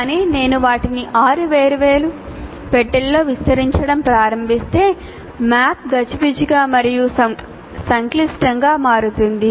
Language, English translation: Telugu, But if I start expanding like six different boxes, the map becomes a little more messy and complex